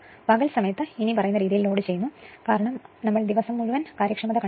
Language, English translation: Malayalam, During the day, it is loaded as follows right it is because we have find out all day efficiency